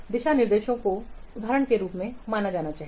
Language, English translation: Hindi, The guidelines should be considered as examples